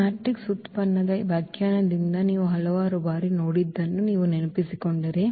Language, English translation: Kannada, So, if you remember from this definition of this matrix product which we have seen several times